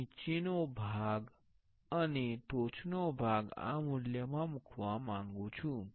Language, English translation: Gujarati, I want to place the bottom part and the top part of this value